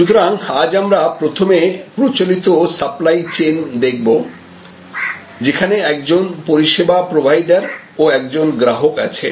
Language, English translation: Bengali, So, today first we can look at this traditional supply chain, where we have a service provider and a customer